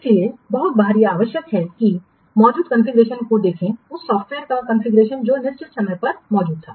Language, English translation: Hindi, So, very often it is necessary to refer to the configuration that existed, the configuration of the software that existed at certain point of time